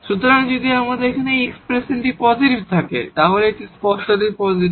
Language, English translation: Bengali, So, if we have this expression here this is positive, so this one is strictly positive